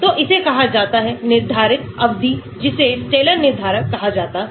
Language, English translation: Hindi, so this is called a term of determined is called the Slater determinant